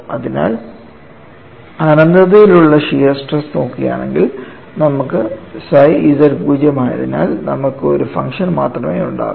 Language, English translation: Malayalam, So, if you look at shearing stresses that infinity, you could have just one function, because you have psi z 0; you have only chi is available